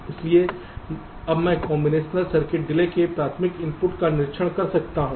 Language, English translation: Hindi, so now i can observe the primary output of the combinational circuit